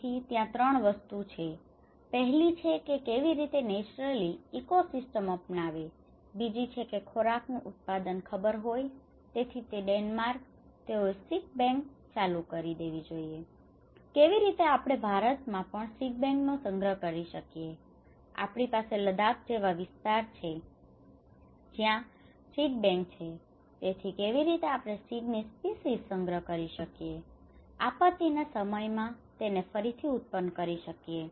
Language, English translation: Gujarati, So, there is a 3 things; one is how it can naturally the ecosystem should adopt, the second is the food production should know, so that is why the Denmark, they started with the seed bank, how we can store the seed bank even in India we have in Ladakh area where there is a seed bank so, how we can store the species of seeds, so that in the time of crisis how we can regenerate it further